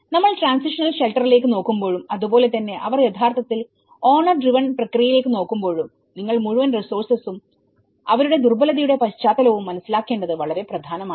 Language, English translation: Malayalam, So, this is very important when we are looking at the transitional shelter and as well as when they are actually looking at the owner driven process, you need to understand the whole resources and their vulnerability context itself